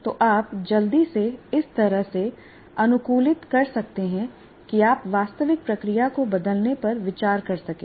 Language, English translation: Hindi, It can be interactive so you can quickly adopt in a way that you might consider changing the real process